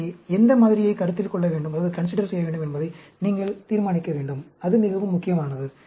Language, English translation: Tamil, So, you need to decide on which model to consider; that is very, very important